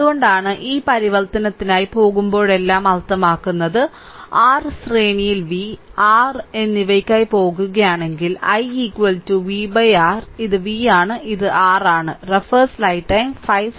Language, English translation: Malayalam, So, that is why this when you just let me clear it that means whenever you are going for this transformation that ifI go for v and R in your series, then i is equal to here, it will be v upon R right this is v this is R